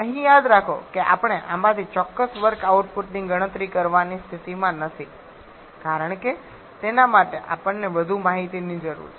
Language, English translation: Gujarati, Remember here we are not in a position to calculate the exact work output from this because for that we need more information